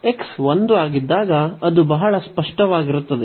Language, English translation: Kannada, So, that is pretty clear when x is 1